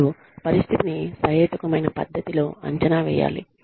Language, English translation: Telugu, And, the situation should be assessed, in a reasonable manner